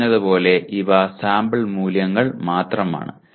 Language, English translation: Malayalam, And as we said these are only sample values